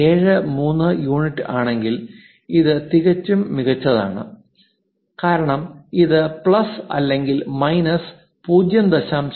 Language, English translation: Malayalam, 73 units that is also perfectly fine, because this plus or minus 0